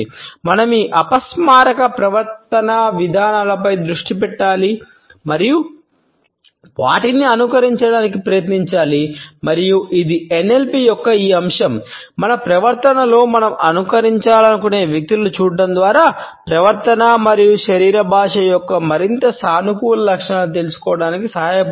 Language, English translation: Telugu, We should focus on these unconscious behavioural patterns and try to emulate them and it is this aspect of NLP which helps us to learn more positive traits of behaviour as well as body language by looking at those people who we want to emulate in our behaviour